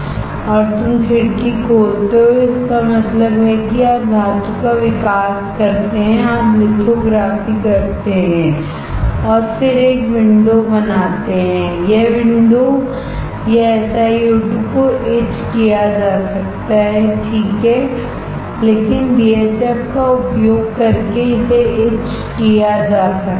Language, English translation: Hindi, And you open the window; that means, you grow the metal, you do the lithography, then create a window, this window this SiO2 there can be etched, right, but as it can be etched by using BHF